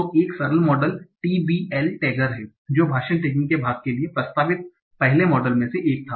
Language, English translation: Hindi, So one simple model is TBL tagger that was one of the earlier model proposed for part of speech tagging